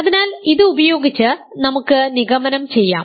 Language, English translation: Malayalam, So, using this we can conclude